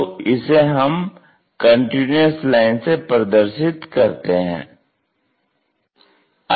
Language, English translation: Hindi, So, we join that by a continuous line